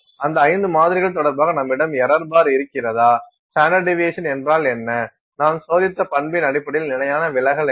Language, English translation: Tamil, Do you have an error bar with respect to those 5 samples, what is the mean, what is the standard deviation with respect to the property that you have tested